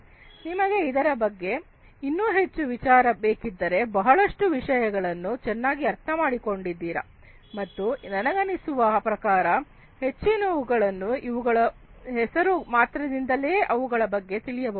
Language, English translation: Kannada, If you need to know in further more detail about each of these many of these are quite well understood, and you know I think most of them you can understand from these names alone